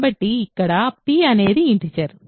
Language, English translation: Telugu, So, here p is an integer